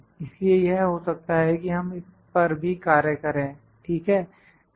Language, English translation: Hindi, So, there might be we can work on this as well, ok